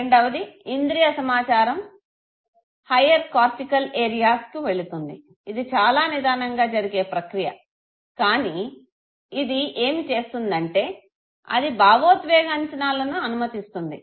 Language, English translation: Telugu, The second where the sensory information goes to the higher cortical areas and this is a very slow process but what it does is, that it allows you to go for appraisal of the emotion